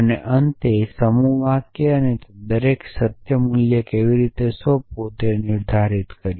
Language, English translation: Gujarati, And the finally, the set sentences and we defined how to assign truth value to each of them